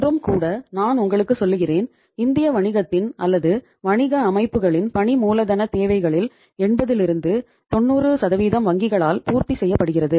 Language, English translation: Tamil, And I would again tell you that even today 80 90% of the working capital requirements of the Indian business or the business organizations is are fulfilled by the banks